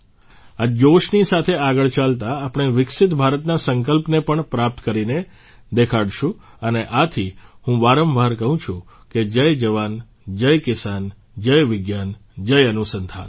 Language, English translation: Gujarati, Moving ahead with this fervour, we shall achieve the vision of a developed India and that is why I say again and again, 'Jai JawanJai Kisan', 'Jai VigyanJai Anusandhan'